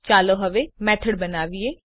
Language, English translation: Gujarati, Now let us create a method